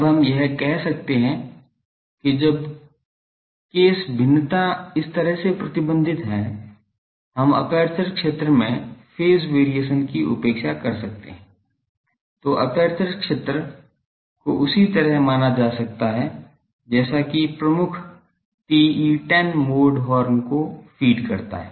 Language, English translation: Hindi, Now we can say that, when the case variation is restricted in this manner the so, that we can neglect the phase variation in aperture field, the aperture field may be assumed to the same as that for dominant TE10 mode feeding the horn